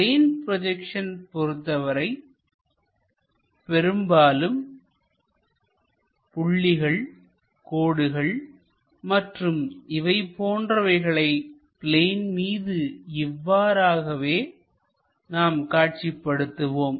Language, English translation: Tamil, In most of the cases this plane projections points line and other things either we show it on the plane